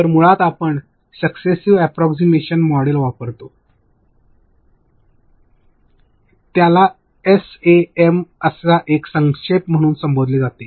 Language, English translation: Marathi, So, basically we use a Successive Approximation Model, it is referred to as SAM an abbreviation